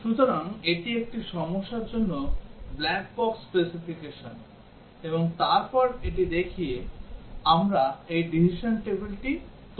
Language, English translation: Bengali, So, this is the black box specification for a problem, and then by looking at it, we develop this decision table